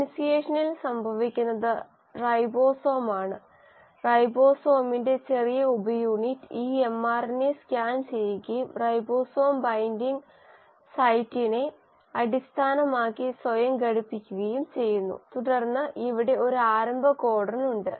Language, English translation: Malayalam, What is happening in initiation is the ribosome, the small subunit of ribosome scans this mRNA and attaches itself based on ribosome binding site and then here is a start codon